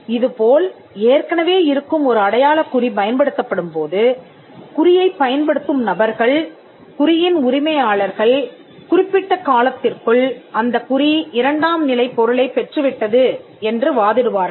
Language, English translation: Tamil, So, when an existing mark is used, the people who use the mark, the owners of the mark would argue that the mark has acquired a secondary meaning over a period of time